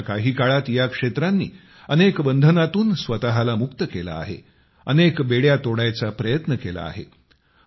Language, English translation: Marathi, In the recent past, these areas have liberated themselves from many restrictions and tried to break free from many myths